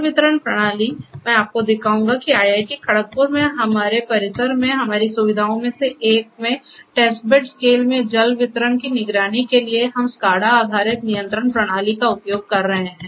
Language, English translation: Hindi, So, water distribution system, I will show you where we are using SCADA based control system for monitoring the water distribution in test bed scale in one of our facilities in our campus at IIT Kharagpur